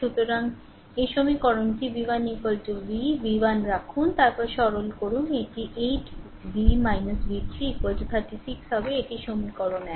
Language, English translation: Bengali, So, you put that in this equation you put v 1 is equal to v, v 1 then you simplify it will be 8 v minus v 3 is equal to 36 it is equation 1